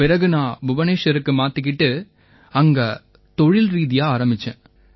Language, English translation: Tamil, Then after that there was a shift to Bhubaneswar and from there I started professionally sir